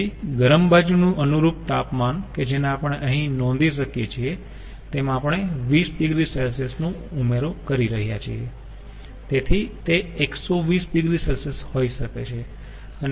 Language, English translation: Gujarati, so hot side, the corresponding temperature could be we are notice here ah, adding twenty degree celsius, it could be one twenty degree celsius